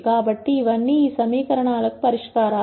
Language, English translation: Telugu, So, all of these are solutions to these equations